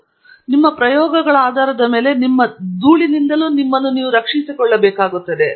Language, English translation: Kannada, Based on the experiments that you are doing, you may also need to protect yourself from dust